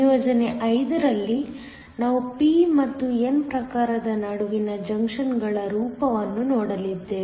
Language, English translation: Kannada, In assignment 5, we are going to look at junctions form between p and n type